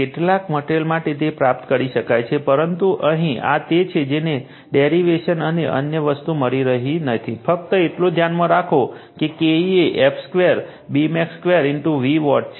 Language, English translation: Gujarati, For some material, it can be derived, but here this is your what to call we are not giving that derivation and other thing, just you keep it in your mind that K e is the f square B max square into V watt